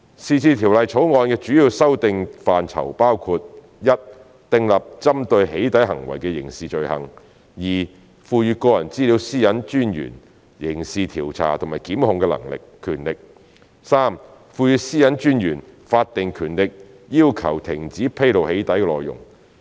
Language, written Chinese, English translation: Cantonese, 是次《條例草案》的主要修訂範疇包括：一訂立針對"起底"行為的刑事罪行；二賦予個人資料私隱專員刑事調查和檢控的權力；及三賦予私隱專員法定權力要求停止披露"起底"內容。, The main areas of amendment to the Bill this time around include a to criminalize doxxing acts as an offence; b to empower the Privacy Commissioner for Personal Data to carry out criminal investigations and institute prosecution; and c to confer on the Commissioner statutory powers to demand actions to cease disclosure of doxxing contents